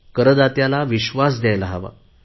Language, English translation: Marathi, We shall have to reassure the taxpayer